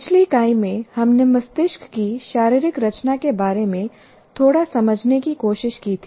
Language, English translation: Hindi, In the earlier unit, we tried to understand a little bit of the anatomy of the brain